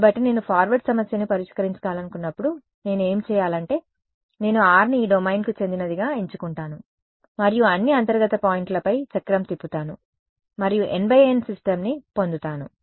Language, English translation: Telugu, So, when I want to solve the forward problem what do I do is, I choose r to belong to this domain and I cycle over all the internal points get N by N system